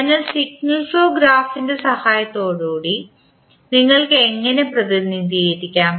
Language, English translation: Malayalam, So, how you will represent with a help of signal flow graph